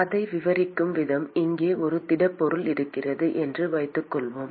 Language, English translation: Tamil, The way to describe it supposing if we have a solid here